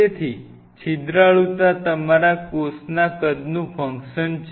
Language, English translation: Gujarati, So, porosity is a function of your cell size